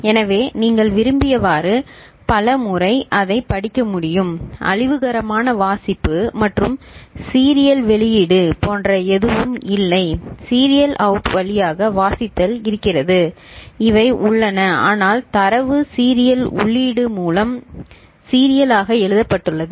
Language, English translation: Tamil, So, it can you can read it as many times as you want there is nothing like destructive reading and all where serial out reading through serial out is there and these, but the data is written serially through serial input ok